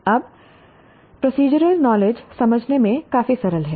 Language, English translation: Hindi, Now, procedural knowledge is fairly simple to understand